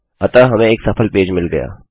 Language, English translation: Hindi, So we get a successful page